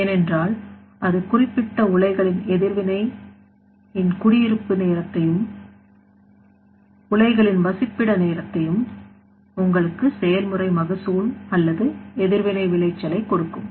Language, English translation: Tamil, Because that will give you the residence time of reactant of particular reactor and residence time of the reactor will give you the process yield or reaction yield there